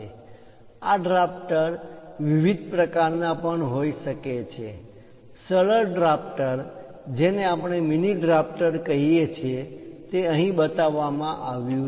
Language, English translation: Gujarati, These drafters can be of different types also;, the simple drafter which we call mini drafter is shown here